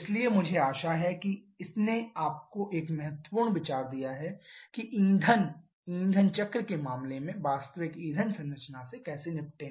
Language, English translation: Hindi, So, I hope this is this has given you an ample idea about how to deal with the actual fuel composition in case of a fuel air cycle